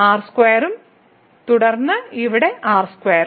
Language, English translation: Malayalam, So, square and then here square